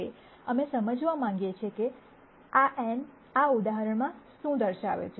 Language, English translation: Gujarati, Now, we want to understand what this n depicts in this example